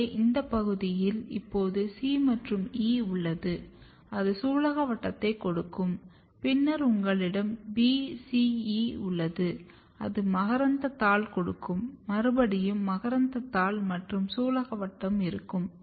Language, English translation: Tamil, So, this region is now it is having C and E and C and E will give carpel then you have B, C, E it will give stamen B, C, E it will give stamen and here you have carpel